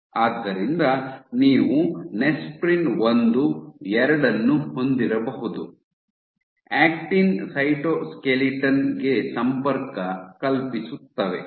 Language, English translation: Kannada, So, you might have nesprins 1, 2 which are known to connect to the actin cytoskeleton ok